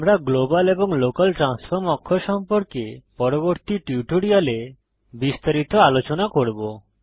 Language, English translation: Bengali, We will discuss about global and local transform axis in detail in subsequent tutorials